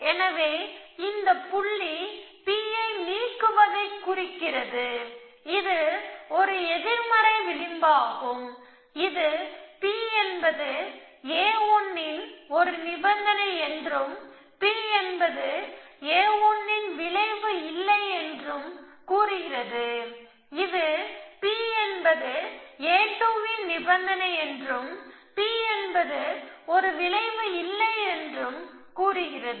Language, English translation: Tamil, So, this remember this dot stands for deleting P, it is a negative edge, it saying that P is a condition for a 1 and not P is a effect of a 1, this is also saying that P is condition of a 2 and not P is an effect for